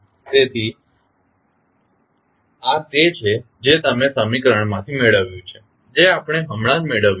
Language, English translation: Gujarati, So, this is what you got from the equation which we just derived